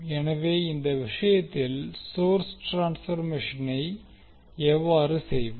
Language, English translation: Tamil, So in this case, how we will carry out the source transformation